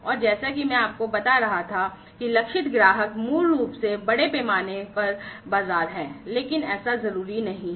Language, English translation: Hindi, And as I was telling you that the target customers are basically the mass markets, but not necessarily so